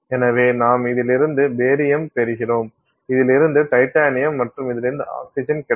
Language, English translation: Tamil, So, you get barium from this, then you get titanium from this and oxygen from this